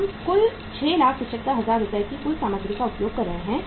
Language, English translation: Hindi, 6,75,000 worth of the material has been used